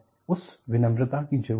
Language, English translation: Hindi, That humility is needed